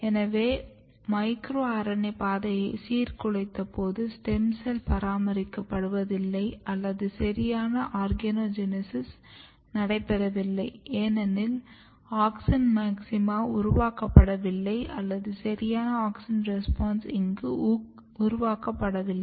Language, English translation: Tamil, So, this suggest that when you have disrupted micro RNA pathway, essentially neither stem cell is maintained nor proper organogenesis is taking place because auxin maxima not being generated or proper auxin responses are not getting generated here